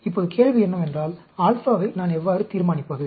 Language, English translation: Tamil, Now the question is, how do I decide on the alpha